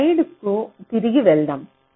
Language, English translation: Telugu, so let us go back to the slide